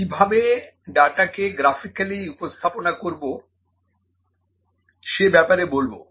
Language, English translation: Bengali, Then we will talk something about the data visualisation, how to graphically represent the data